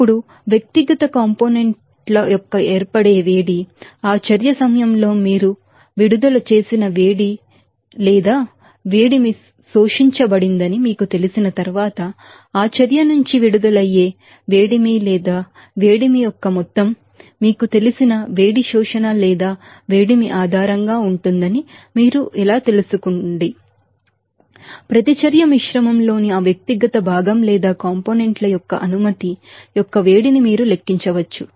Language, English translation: Telugu, Now, how to you know find out that heat of formation of individual components are based on that you know, heat released or heat absorbed during that reaction once you know that amount of heat released or amount of heat absorbed by that reaction from that, you know, heat absorption or heat you know generation you can calculate that heat of permission of that individual constituent or components in the reaction mixture